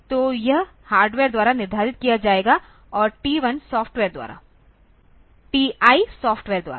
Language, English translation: Hindi, So, it will be set by hardware and TI by software